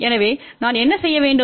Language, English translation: Tamil, So, what we need to do